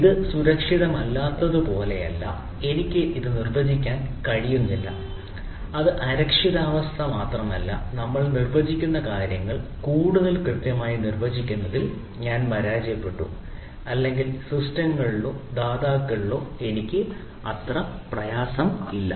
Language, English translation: Malayalam, it is not only insecurity that thing, but also i failed to defined the things which we are define in more precisely there, or i am not having that much trust or confidence on systems or the providers